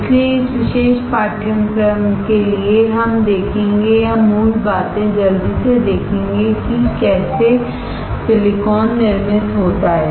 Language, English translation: Hindi, So, for this particular course, we will see or will touch the basics quickly and see how the silicon is manufactured